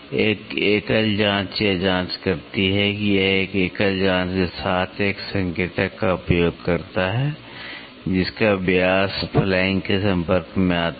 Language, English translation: Hindi, A single probe check it uses an indicator with a single probe whose diameter makes in contact with the flank